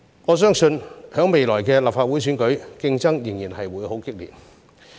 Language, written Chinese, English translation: Cantonese, 我相信在未來的立法會選舉，競爭仍然會很激烈。, I believe competition will still be fierce in future Legislative Council elections